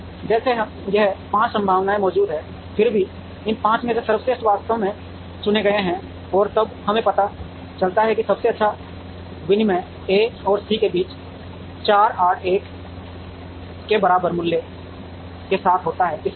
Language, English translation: Hindi, So, like this 5 possibilities exist, and then the best out of these 5 are actually chosen, and then we realize that the best exchange happens between A and C with value equal to 481